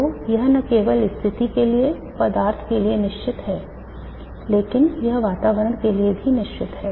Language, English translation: Hindi, So it is not only unique to the position but it is also unique to the substance but it is also unique to the surrounding